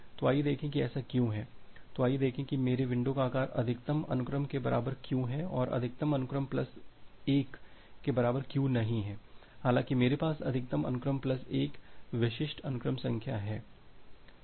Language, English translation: Hindi, So, let us see why so, let us see that why my window size is equal to max sequence and not equal to max sequence plus 1 although I have max sequence plus 1 distinct sequence numbers